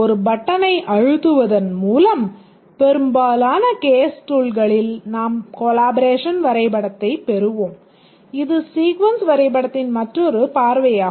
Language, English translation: Tamil, In most of the case tools by press of a button you get the collaboration diagram and this is just another view of the sequence diagram